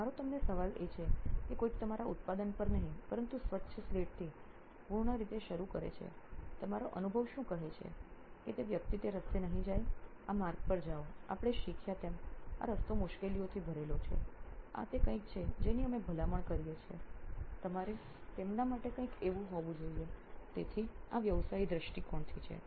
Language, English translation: Gujarati, So my question to you is suppose somebody starting out completely from clean slate not to pun on your product but clean slate, what would your you know experience say hey guys do not go that path, go this path this is what we have learned that is full of you know difficulties, this is something that we recommend you should be on, something like that for them, so this is from a practitioner point of view